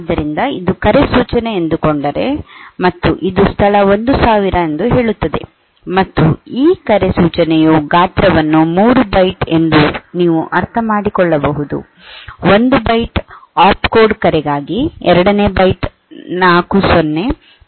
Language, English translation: Kannada, And call instruction you can understand the size of this call instruction is 3 byte, for 1 byte will be going for the opcode call, the second byte will be 4 0 third byte will be 00